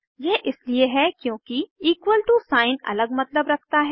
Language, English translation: Hindi, This is because the equal to sign has another meaning